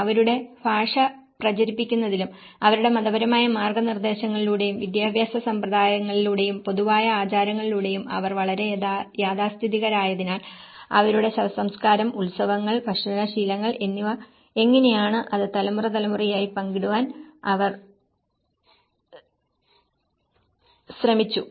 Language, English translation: Malayalam, And because they are also very conservative in terms of spreading their language and through their religious guidance and the education systems and the shared customs you know they are basically, you know how their funerals, how the festivals, how the food habits, they try to share that through generation to generation